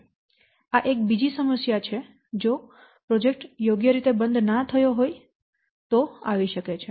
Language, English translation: Gujarati, So, this is another problem that you will get that you will observe if the projects are not properly closed